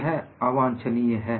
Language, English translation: Hindi, So, it is not a desirable